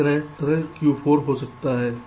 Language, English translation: Hindi, similarly, on this side, this can be q four